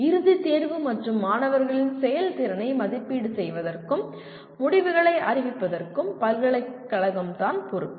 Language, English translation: Tamil, University is the one that arranges for final examination and evaluation of student performance, declaring the results everything